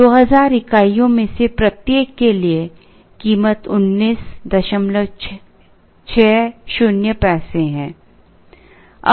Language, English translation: Hindi, For each one of the 2000 units, the price is at 19